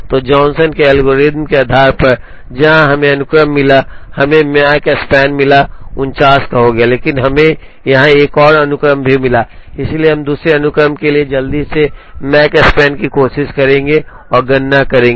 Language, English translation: Hindi, So, based on the Johnson’s algorithm, where we got the sequence, we got the Makespan to be 49, but we also got another sequence here, so we will quickly try and compute the Makespan for the other sequence